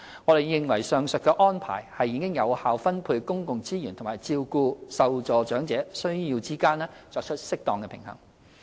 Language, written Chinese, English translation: Cantonese, 我們認為上述安排已在有效分配公共資源和照顧受助長者需要之間作出適當平衡。, We think that the above arrangements have struck a balance between effective allocation of public resources and taking care of the needs of the elderly recipients